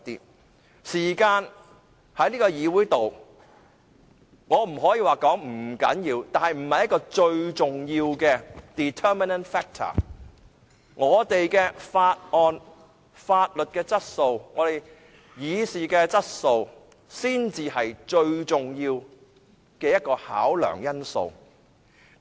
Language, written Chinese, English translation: Cantonese, 我不可以說時間在這個議會內不重要，但這不是一個最重要的因素，我們審議法案的質素才是最重要的考量因素。, I do not mean that time is not important in the Council but it is not the determining factor . The quality of our deliberation of bills should be the most important consideration